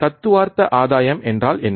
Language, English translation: Tamil, What is theoretical gain